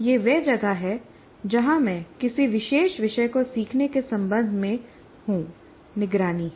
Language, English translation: Hindi, So, this is where I am with respect to learning that particular topic that is monitoring